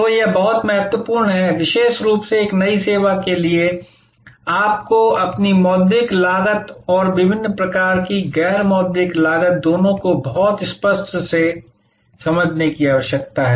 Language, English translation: Hindi, So, this is very important, particularly for a new service, you need to very clearly understand both your monitory costs and different types of non monitory costs